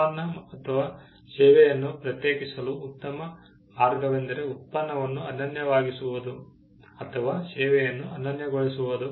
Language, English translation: Kannada, You may say that, the best way to distinguish a product or a service is by making the product unique or the service unique